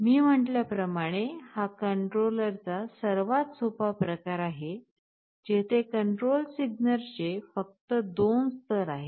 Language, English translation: Marathi, As I said this is the simplest type of controller, where the control signal has only 2 levels, if you say that here I have the controller